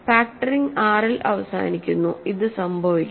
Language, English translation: Malayalam, So, factoring terminates in R this must happen